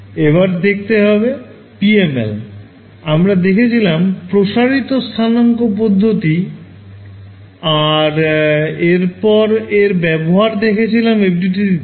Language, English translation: Bengali, So, we looked at PMLs, we looked at the theory via stretched coordinates and then we looked at the implementation in FDTD